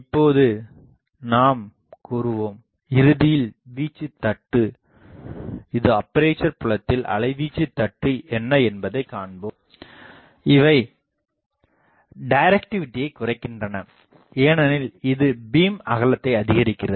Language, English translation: Tamil, Now, here I will say that ultimately we will see that the amplitude taper what is the this that amplitude taper in the aperture field; these reduces the directivity because, this increases the beam width